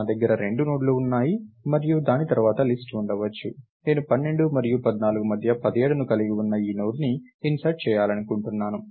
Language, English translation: Telugu, I have 2 nodes and maybe there is a list thats following that, I want to insert this Node containing 17 between 12 and 14